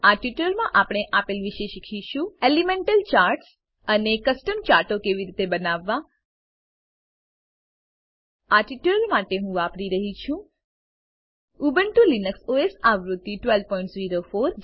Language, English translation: Gujarati, In this tutorial, we will learn about, * Elemental Charts and * How to create Custom Charts For this tutorial, I am using: Ubuntu Linux OS version 12.04